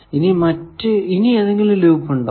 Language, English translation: Malayalam, Now, is there any loop